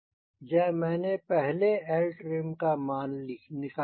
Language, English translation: Hindi, this is a value i got first: cl trim